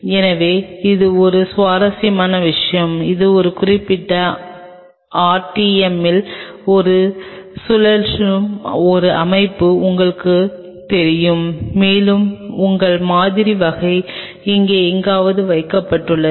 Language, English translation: Tamil, So, this is a very interesting thing which kind of you know it is a setup which rotates like this at a particular RTM, and you have your sample kind of kept somewhere out here